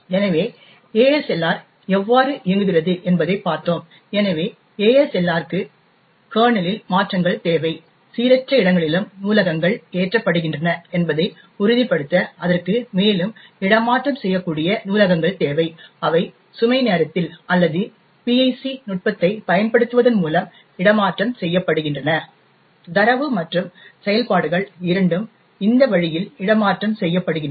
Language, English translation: Tamil, So thus we have seen how ASLR works, so ASLR requires modifications to the kernel, to ensure that libraries are loaded at random locations, further on it requires relocatable libraries which are located, which are made relocatable either at load time or by using PIC technique, both data as well as functions are made relocatable this way